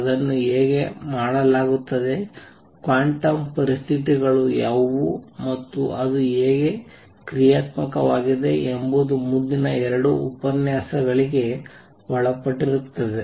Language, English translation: Kannada, How it is done, what are the quantum conditions, and how it is the dynamic followed will be subject of next two lectures